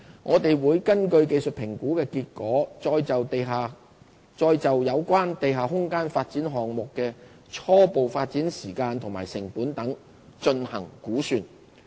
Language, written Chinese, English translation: Cantonese, 我們會根據技術評估的結果，再就有關地下空間發展項目的初步發展時間及成本等進行估算。, Based on the findings of these technical assessments we will make projections for the preliminary development schedules and costs for the underground space development projects